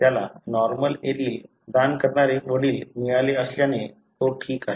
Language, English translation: Marathi, Since he has got father who has donated the normal allele, he is alright